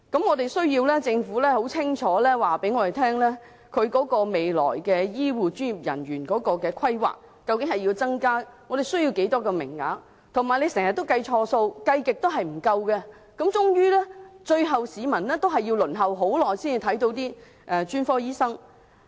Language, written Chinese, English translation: Cantonese, 我們需要政府清楚告訴我們未來對醫護專業人員的規劃，包括我們需要增加多少個名額，而政府又經常計錯數，算來算去也總是不夠，令市民最後要輪候很長時間才能看專科醫生。, The Government has to tell us clearly the planning for health care professionals for the future including the number of additional places required though the Government often made mistakes in its calculation and there was invariably a shortfall no matter how computation was done thus resulting in a long wait before the public can consult a specialist doctor